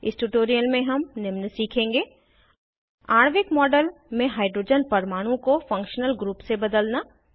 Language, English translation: Hindi, In this tutorial, we will learn to, * Substitute hydrogen atom in a molecular model with a functional group